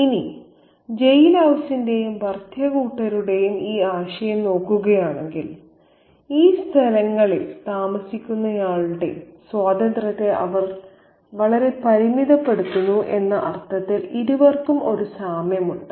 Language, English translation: Malayalam, Now, if we look at this idea of the jailhouse and the in laws, both of them have a similarity in the sense that they are very restrictive of the freedom that the occupant of these spaces have